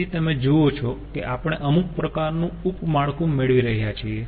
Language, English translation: Gujarati, so you see, we are getting some sort of sub network